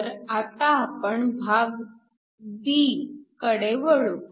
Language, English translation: Marathi, So, let us now go to part b